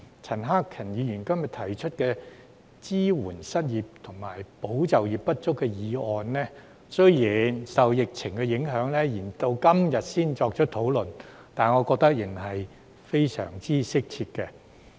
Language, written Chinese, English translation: Cantonese, 陳克勤議員今天提出"支援失業及就業不足人士"的議案，雖然受疫情影響延至今天才進行討論，但我覺得仍然非常適切。, Mr CHAN Hak - kans motion on Supporting the unemployed and underemployed today despite the fact that its debate is delayed until today due to the epidemic I still consider it extremely appropriate